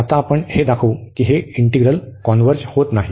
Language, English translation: Marathi, So, naturally that integral will converge